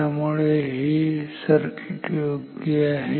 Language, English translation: Marathi, So, this circuit is good